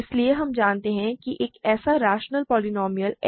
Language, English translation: Hindi, So, we know that there is a rational polynomial h such that f h is g